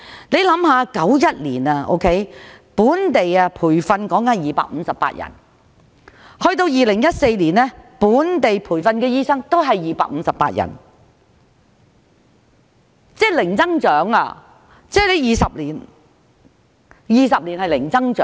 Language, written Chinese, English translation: Cantonese, 1991年本地培訓的醫生每年258人，但到了2014年依然是258人，即是過去20多年一直是零增長。, Since 1991 the number of locally trained doctors had been 258 each year but it was still 258 in 2014 . This means that there had been zero growth over the past 20 years or so